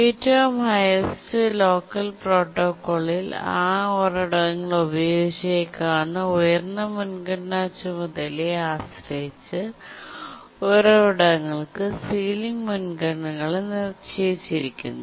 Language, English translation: Malayalam, In the highest locker protocol, sealing priorities are assigned to resources depending on what is the highest priority task that may use that resource